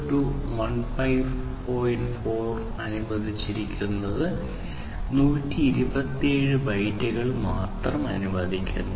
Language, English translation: Malayalam, 4 allowing 127 bytes only